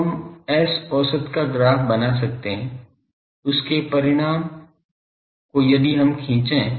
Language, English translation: Hindi, So, we can plot S average, this magnitude of this if we plot